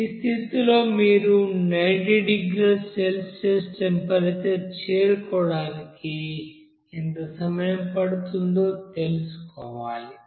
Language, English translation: Telugu, Now at this condition you have to find out how long it will take to reach this solution to a temperature of 90 degree Celsius